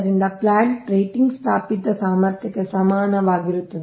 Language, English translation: Kannada, therefore plant rating is equal to installed capacity